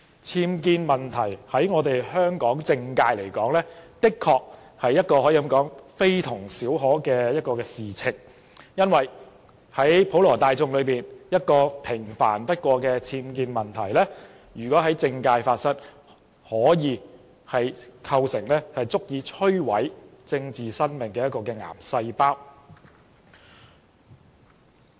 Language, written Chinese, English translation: Cantonese, 僭建問題對香港的政界，的確可說是非同小可的事，因為可能對普羅大眾而言只是一個平凡不過的僭建問題，若在政界發生，卻可以是足以摧毀一個人政治生命的癌細胞。, For the politicians in Hong Kong however the UBWs problem is no trivial matter . For the ordinary people it is just an insignificant matter but in the political arena it may be cancer cells that ruin ones political life